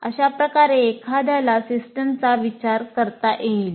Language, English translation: Marathi, So that is how one can consider the system